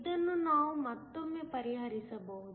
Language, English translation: Kannada, This again we can solve